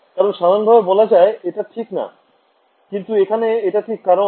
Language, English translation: Bengali, Because, I mean in general that will not be true, but here it is true because